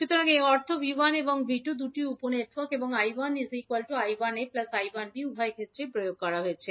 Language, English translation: Bengali, So that means that V 1 and V 2 is applied to both of the sub networks and I 1 is nothing but I 1a plus I 1b